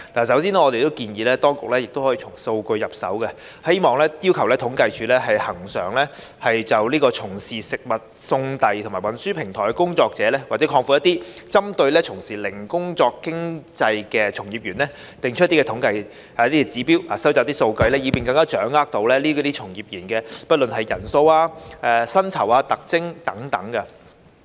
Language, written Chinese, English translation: Cantonese, 首先，我們建議當局可以從數據入手，要求政府統計處恆常就"從事食物送遞及運輸的平台工作者"，或廣闊一點，針對"從事零工經濟從業員"定期作出統計和指標，收集數據，以便更能掌握這類從業員的人數、薪酬、特徵等。, First of all we suggest that the authorities can start with data collection and ask the Census and Statistics Department to regularly conduct statistical analyses and set out indicators of platform workers providing takeaway delivery and transport services or in a broader sense workers engaging in gig economy thereby grasping more information concerning the number income characteristics etc . of such workers